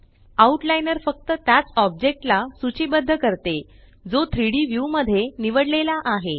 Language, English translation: Marathi, The Outliner lists only that object which is selected in the 3D view